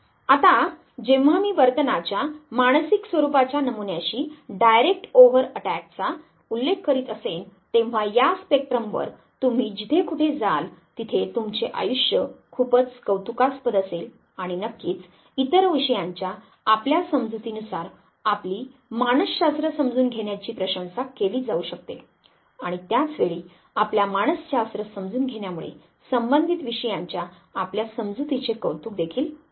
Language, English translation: Marathi, Now, when I was referring to direct overt attack to psychotic pattern of behavior, wherever you fall on this spectrum you would have a great appreciation for life and of course, the understanding of psychology can be complimented by your understanding of other subjects and at the same time your understanding of psychology can also compliment your understanding of related subjects